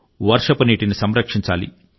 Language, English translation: Telugu, We have to save Rain water